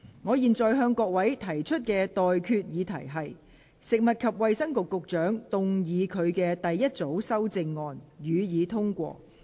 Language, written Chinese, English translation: Cantonese, 我現在向各位提出的待決議題是：食物及衞生局局長動議他的第一組修正案，予以通過。, I now put the question to you and that is That the first group of amendments moved by the Secretary for Food and Health be passed